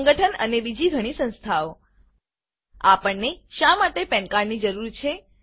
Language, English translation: Gujarati, Trust and many other bodies Why do we need a PAN card